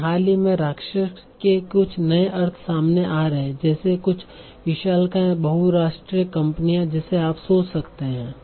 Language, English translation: Hindi, But recently some new meaning of giants is coming up so that you can think of like some sort of giant multinationals and all that, giant manufacturers